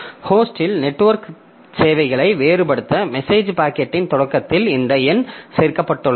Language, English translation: Tamil, So, this a number is included at start of message packet to differentiate network services on a host